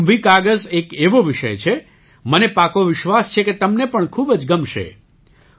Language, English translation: Gujarati, This KumbhiKagaz is a topic, I am sure you will like very much